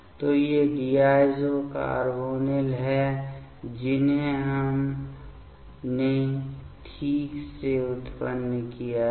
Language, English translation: Hindi, So, these are the diazo carbonyl that we have generated fine